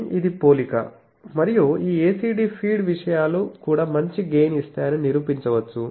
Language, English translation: Telugu, And it can be proved that these ACD feed things that gives a better gain also